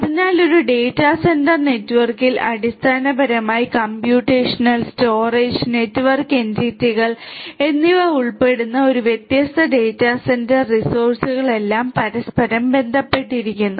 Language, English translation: Malayalam, So, in a data centre network basically we have all these different data centre resources involving computational, storage and network entities, which interconnect with one another